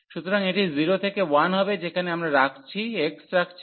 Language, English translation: Bengali, So, this will be 0 to 1 the one we putting x there